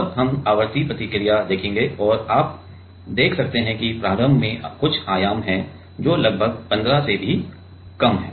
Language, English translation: Hindi, And, we will see the frequency response and you can see that the initially there is some amplitude